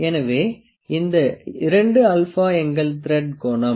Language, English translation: Tamil, So, the this 2 alpha is our thread angle